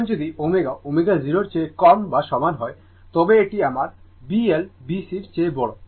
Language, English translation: Bengali, Now, if you see omega less than equal to omega less than omega 0 that is my B L greater than B C